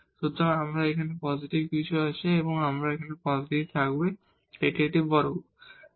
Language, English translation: Bengali, So, here we have something positive and here also we will have positive this is a square there